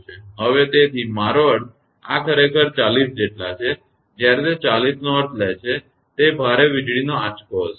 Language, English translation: Gujarati, So, therefore I mean this actually this as many as 40; when it is taking 40 means; it will be a heavy lightning stroke